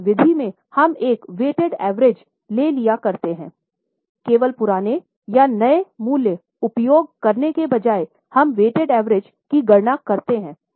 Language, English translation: Hindi, In that method what is done is here we go for a weighted average